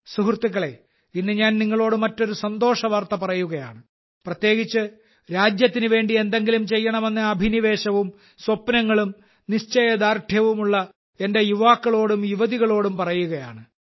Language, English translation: Malayalam, Friends, today I am sharing with you another good news, especially to my young sons and daughters, who have the passion, dreams and resolve to do something for the country